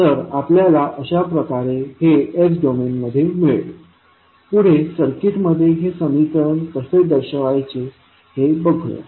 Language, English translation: Marathi, So, this we get in the s domain next is how represent that equation in the circuit